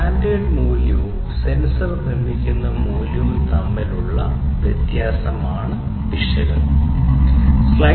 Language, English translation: Malayalam, Error is basically the difference between the standard value and the value produced by the sensor that is the error characteristic